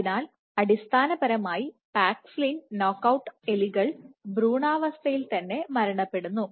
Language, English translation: Malayalam, So, basically paxillin knockout mice is embryo lethal